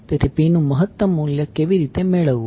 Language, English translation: Gujarati, So, how to get the value of maximum P